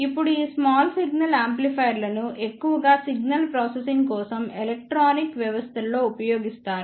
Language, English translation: Telugu, Now, these small signal amplifiers are mostly used in electronic systems for signal processing